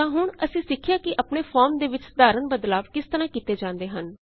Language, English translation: Punjabi, So now, we have learnt how to make a simple modification to our form